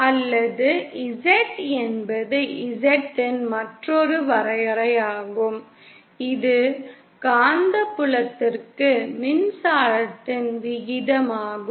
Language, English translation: Tamil, Or Z is also yet another definition of Z is ratio of electric to magnetic field